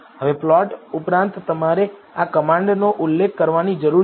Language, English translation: Gujarati, Now in addition to the plot you need to mention this command